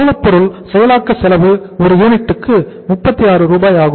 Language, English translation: Tamil, the cost of raw material processing cost is uh per unit is 36